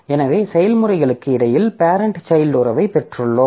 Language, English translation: Tamil, So, we have got this parent child relationship